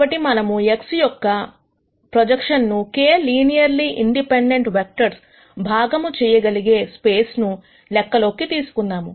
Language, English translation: Telugu, So, let us consider the problem of projection of X onto space spanned by k linearly independent vectors,